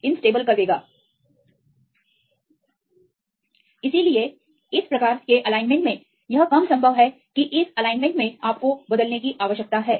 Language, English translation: Hindi, So, this is less possible to have this type of alignment in this case the alignment you need to change